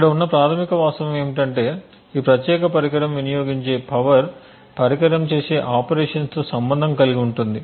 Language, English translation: Telugu, The basic fact over here is that the power consumed by this particular device is correlated with the operations that the device does